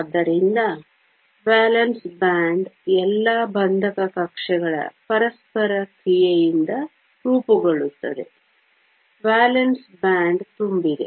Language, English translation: Kannada, So, the valence band is formed by the interaction of all the bonding orbitals, valence band is full